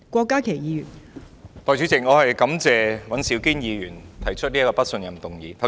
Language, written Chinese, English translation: Cantonese, 代理主席，我感謝尹兆堅議員提出這項不信任行政長官的議案。, Deputy President I thank Mr Andrew WAN for proposing this motion of no confidence in the Chief Executive